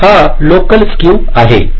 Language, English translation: Marathi, so this is local skew